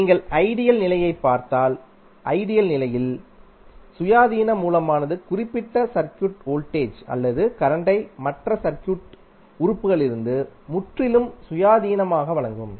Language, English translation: Tamil, So, if you see the ideal condition in ideal condition the ideal independent source will provide specific voltage or current that is completely independent of other circuit elements